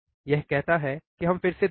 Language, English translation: Hindi, What it say let us see again